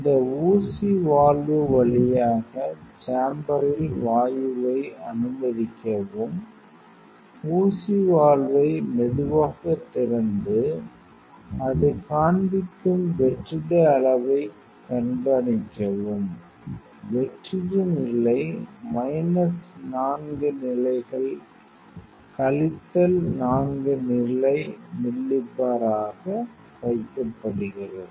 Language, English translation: Tamil, So, admit the gas in the to chamber through this needle valve slowly open the needle valve and observe the vacuum level where it shows, the vacuum level is kept minus 4 levels minus 4 level milli bar